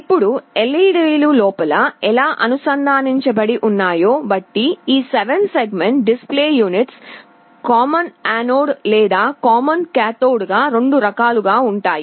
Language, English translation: Telugu, Now, depending on how the LEDs are connected inside, these 7 segment display units can be of 2 types, either common anode or common cathode